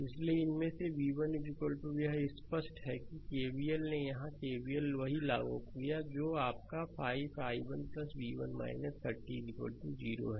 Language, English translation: Hindi, So, v 1 is equal to from these it is clear that I applied that KVL here only that is your 5 i 1 plus v 1 minus 30 is equal to 0 right